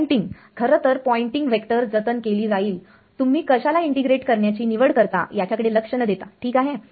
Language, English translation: Marathi, The Poynting actual Poynting vector will be conserved regardless of what you choose to integrate ok